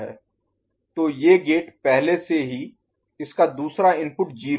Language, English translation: Hindi, So, these gate already the other input of it is 0 ok